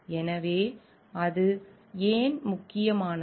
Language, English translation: Tamil, So, why it is important